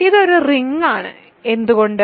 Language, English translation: Malayalam, Is this a ring